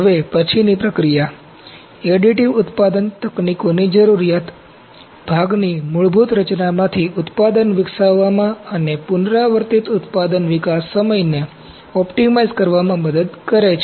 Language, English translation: Gujarati, Now, post processing, need of additive manufacturing techniques helps to develop a product from the basic design of the component and to optimize the iterative product development time